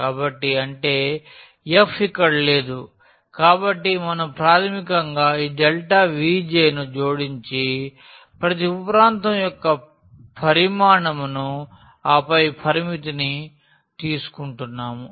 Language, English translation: Telugu, So; that means, there is no f here so we are basically adding this delta V j the volume of each sub region and then taking the limit